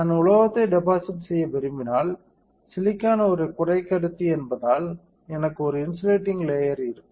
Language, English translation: Tamil, So, if I want to deposit metal, I will have a insulating layer because silicon is a semiconductor